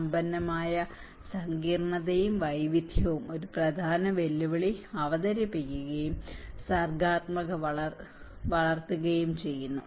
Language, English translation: Malayalam, The rich complexity and diversity presents a significant challenge as well as foster creativity